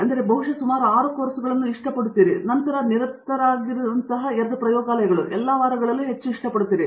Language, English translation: Kannada, So, you probably did like about 6 courses and then a couple of labs that kept you busy, pretty much all week